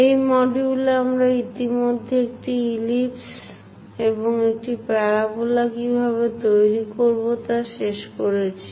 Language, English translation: Bengali, In this conic sections, we have already covered how to construct an ellipse and also a parabola